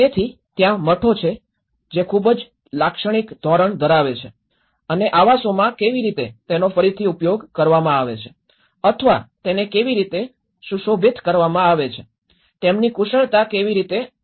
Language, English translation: Gujarati, So, there is the monasteries which have a very typical standard and even the dwellings have a typical standard of how they are reused or decorated, how their factious have been put forward